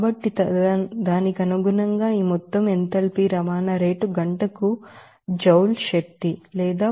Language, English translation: Telugu, So, accordingly, we can have this total enthalpy transport rate will be equal to 8